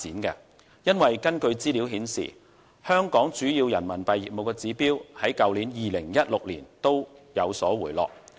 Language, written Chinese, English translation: Cantonese, 原因是，根據資料顯示，香港主要人民幣業務的指標在2016年均有所回落。, The reason is that as shown by statistics there was a decline in all major RMB business indicators in Hong Kong in 2016